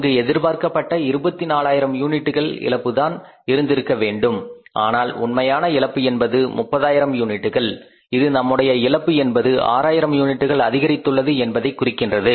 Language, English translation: Tamil, There should have been a loss, maybe there was the expected loss was how much 24,000 units but actual loss is 30,000 units means our loss has increased by 6,000 units